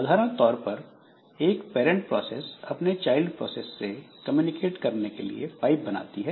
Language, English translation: Hindi, Typically a parent process creates a pipe and uses it to communicate with child process that it created